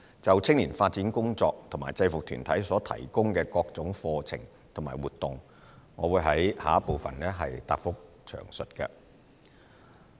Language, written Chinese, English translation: Cantonese, 就青年發展工作和制服團體所提供的各種課程和活動，我會在主體答覆的第二部分詳述。, The work on youth development and the provision of various programmes and activities by UGs will be detailed in part 2 of my reply